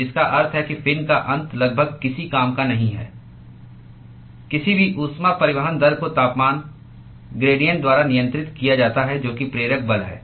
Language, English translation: Hindi, So, which means that the end of the fin is almost of no use the any heat transport rate is governed by the temperature gradient which is the driving force